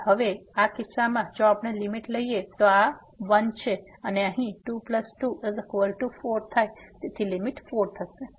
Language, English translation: Gujarati, So, in this case now if we take the limit this is 1 and here 2 plus 2 so will become 4